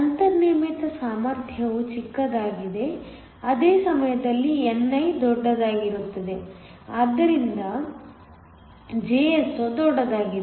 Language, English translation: Kannada, The built in potential is also smaller at the same time ni is larger, so that Jso is also larger